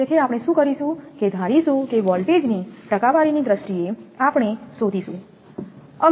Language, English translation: Gujarati, So, what will do we will assume that we in terms of percentage of voltage we will find out